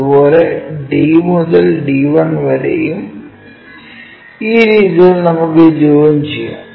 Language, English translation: Malayalam, Similarly, D to D1 so D to D 1, that way we join these lines